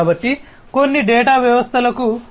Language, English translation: Telugu, So, some data are irrelevant for systems